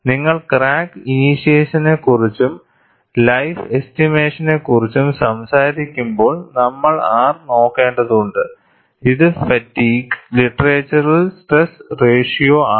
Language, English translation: Malayalam, And when you are talking about crack initiation and life estimation, we will have to look at R, which is the stress ratio in fatigue literature